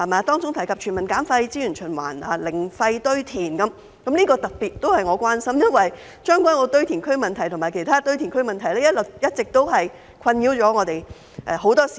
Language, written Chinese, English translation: Cantonese, 當中提及全民減廢、資源循環及零廢堆填，這些都是我特別關心的，因為將軍澳堆填區及其他堆填區的問題一直困擾很多市民。, It has mentioned waste reduction resource circulation and zero landfill . I am particularly concerned about these issues for many people have been troubled by problems arising from the landfills in Tseung Kwan O and other landfills